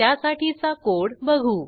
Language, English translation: Marathi, We will see the code for this